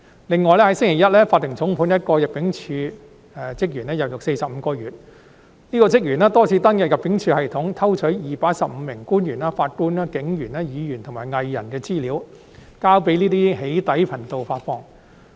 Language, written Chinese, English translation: Cantonese, 另外，在星期一，法庭重判了一名人境事務處職員入獄45個月。這名職員多次登入人境事務處系統，偷取215名官員、法官、警員、議員及藝人的資料，交予一些"起底"頻道發放。, Besides on Monday the court imposed a heavy sentence of 45 - month imprisonment on a staff member of the Immigration Department ImmD who repeatedly logged into ImmDs system to steal the data of 215 government officials judges police officers Legislative Council Members and artistes and provided the data to some doxxing channels for publication